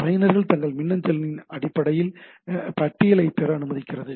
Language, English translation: Tamil, Allows user to obtain a list of their emails